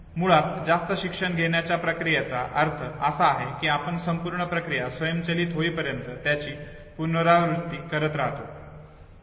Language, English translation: Marathi, Now the process of over learning basically means that you keep on keep on keep on repeating it to an extent that the whole process becomes automated, okay